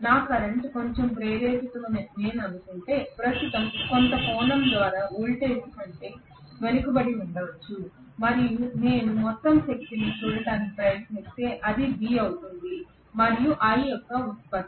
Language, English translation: Telugu, Whereas my current if I assume it is slightly inductive the current might probably lag behind the voltage by certain angle right and if I try to look at the overall power right, it is the product of V and I